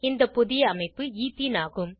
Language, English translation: Tamil, The new structure is Ethene